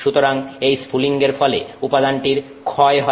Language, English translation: Bengali, So, that spark is what erodes the material